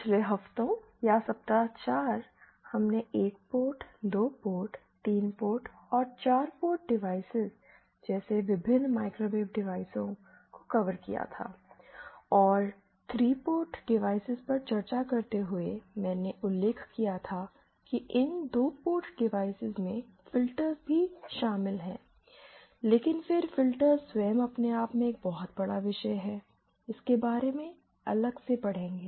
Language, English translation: Hindi, In the previous weeks or in the week for, we had covered the various microwave devices like the 1 port, 2 port, 3 port and 4 port devices and while discussing 3 port devices, I had mentioned that these 2 port devices also include filters but then filters themselves are a huge topic in themselves, will cover it separately